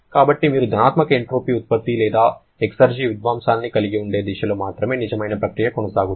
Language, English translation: Telugu, So, real process can proceed only in the direction in which you will be having a positive entropy generation or exergy destruction